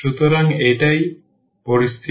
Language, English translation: Bengali, So, that is the situation